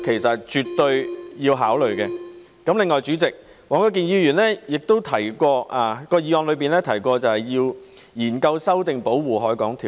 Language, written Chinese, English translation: Cantonese, 此外，代理主席，黃國健議員的議案又提到要研究修訂《保護海港條例》。, Besides Deputy President Mr WONG Kwok - kins motion also mentioned conducting studies on amending the Protection of the Harbour Ordinance